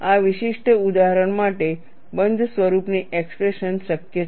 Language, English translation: Gujarati, For this specific example, a closed form expression is possible